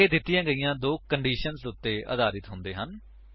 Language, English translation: Punjabi, These are based on the two given conditions